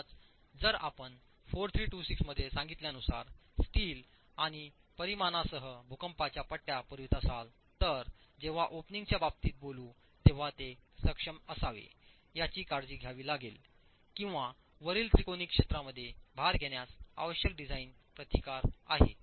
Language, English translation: Marathi, So even if you are providing the seismic bands with steel and dimensions as prescribed in 4326, when comes to the portions above the openings you have to take care that it has the necessary design resistance to take into account loads in the triangular area above disturbed or undisturbed